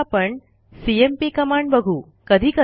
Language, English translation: Marathi, The cmp command